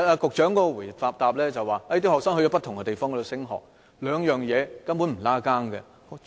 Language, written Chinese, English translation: Cantonese, 局長的答覆指學生到不同的地方升學，兩者根本沒有關係。, The Secretary replied that students may pursue further studies in different places and the two things have no correlation